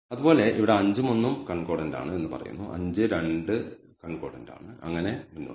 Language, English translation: Malayalam, Similarly here it says 5 and 1 are concordant 5 2 are concordant and so, on so, forth